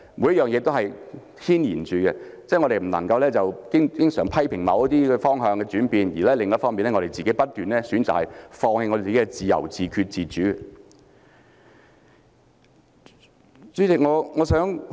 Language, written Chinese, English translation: Cantonese, 每件事均互相牽連，我們不應經常一方面批評某些方向轉變，而另一方面卻不斷選擇放棄自由、自決、自主。, We should not always criticize certain changes of direction on the one hand but constantly choose to give up freedom self - determination and autonomy on the other